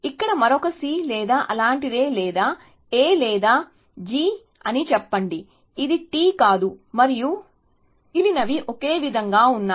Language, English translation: Telugu, let us say another C here or something like that or a A or a G, which is not T, and the rest was the same